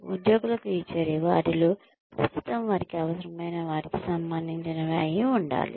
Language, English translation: Telugu, The rewards, that are given to employees, should be relevant, to what they currently need